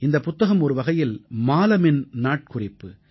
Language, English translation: Tamil, This book, in a way, is the diary of Maalam